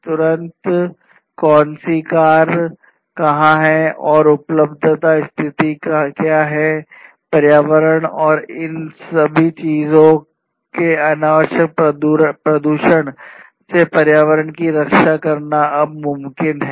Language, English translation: Hindi, Instantly you know which car is where, and what is the availability status, and protecting the environment from unnecessary pollution all of these things are now possible